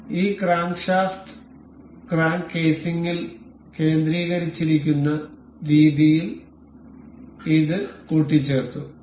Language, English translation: Malayalam, So, this has been assembled in a way that this crankshaft is concentrated with the crank casing